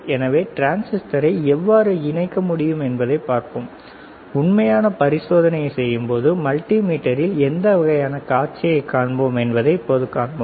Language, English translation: Tamil, So, we will see how we can attach the transistor, and what kind of display we will see on the multimeter when we do the actual experiment